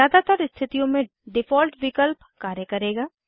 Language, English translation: Hindi, The Default option will work in most cases